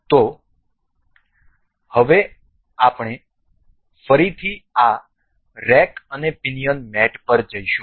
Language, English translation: Gujarati, So, now, again we will go to this rack and pinion mate